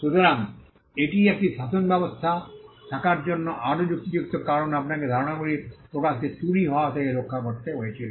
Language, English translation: Bengali, So, that is another rationale for having a regime because you had to protect the expression of ideas from being stolen